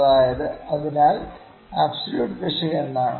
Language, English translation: Malayalam, So, what can be the maximum error